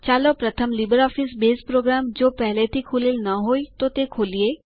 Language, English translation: Gujarati, Let us first invoke the LibreOffice Base program, if its not already open